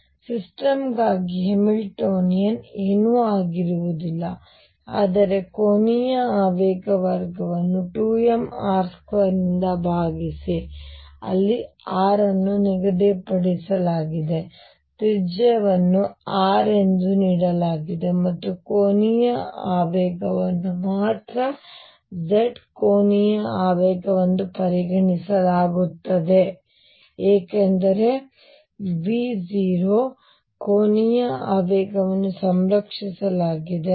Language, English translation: Kannada, So, the Hamiltonian for the system is nothing, but the angular momentum square divided by 2 m r square where r is fixed r is let us say the radius is given to be r and angular momentum is only z angular momentum because V is 0 angular momentum is conserved